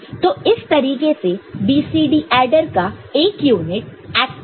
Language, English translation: Hindi, So, this is how a 1 unit of BCD adder will act